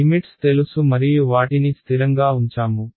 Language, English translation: Telugu, Limits are known and fixed right